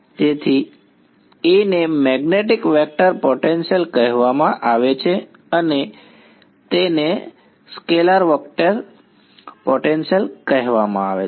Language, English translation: Gujarati, So, A is called the magnetic vector potential and phi is called the scalar potential right